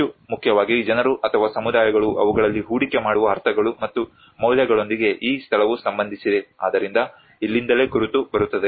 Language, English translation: Kannada, More importantly, the place is associated with the meanings and the values that the people or the communities invest in them so this is where the identity comes in